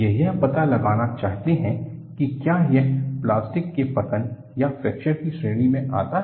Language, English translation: Hindi, They want to find out, whether it comes in the category of plastic collapse or fracture